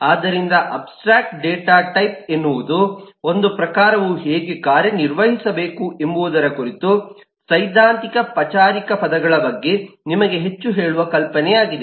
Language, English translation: Kannada, so abstract data typing is the note in which tells you more on theoretical, formal types as how should a type operate and eh